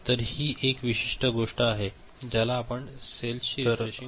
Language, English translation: Marathi, So, that is one particular thing and this is called refreshing of cells